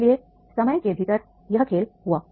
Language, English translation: Hindi, So therefore within time schedule that game was done